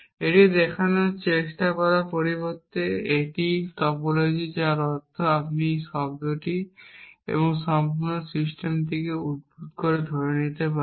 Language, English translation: Bengali, Instead of trying to show that that this is the topology which means you can be derived and assuming a sound and complete system